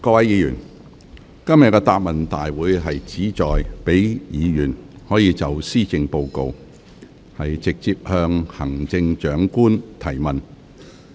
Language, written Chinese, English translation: Cantonese, 各位議員，今天的答問會旨在讓議員可就施政報告，直接向行政長官提問。, Members the Question and Answer Session today seeks to give Members an opportunity to put questions directly to the Chief Executive on the Policy Address